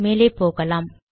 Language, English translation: Tamil, Lets just go there